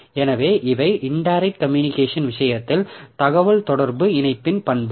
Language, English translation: Tamil, So, these are the properties of communication link in case of indirect communication